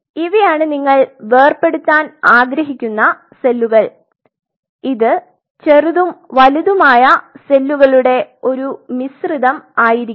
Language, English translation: Malayalam, So, these are the cells which you want to separate out and it has a mix of bigger cells smaller cells even a smaller cell, small cells